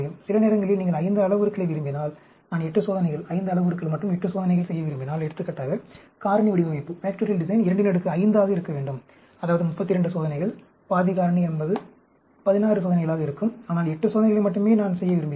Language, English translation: Tamil, Sometimes, if you want 5 parameters, and I want to do 8 experiments, 5 parameters and 8 experiments, for example, factorial design is to be 2 power 5, that is 32 experiments, half factorial will be 16 experiment, but I want to do only 8 experiments